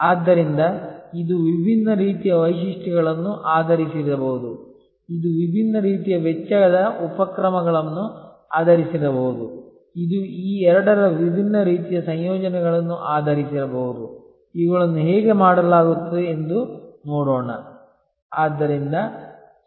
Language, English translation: Kannada, So, it could be based on different types of features, it could be based on different types of cost initiatives, it could be based on different types of combinations of these two, let us look at how these are done